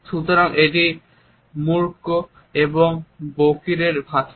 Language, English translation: Bengali, So, or the language of the deaf and the dumb